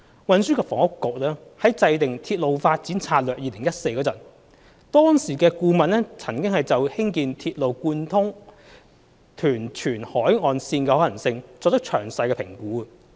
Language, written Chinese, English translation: Cantonese, 運輸及房屋局在制訂《鐵路發展策略2014》時，當時的顧問曾就興建鐵路貫通屯荃海岸線的可行性作出詳細評估。, When the Transport and Housing Bureau was formulating the Railway Development Strategy 2014 RDS - 2014 the consultant at that time evaluated in detail the feasibility of constructing a railway along the coastline between Tuen Mun and Tsuen Wan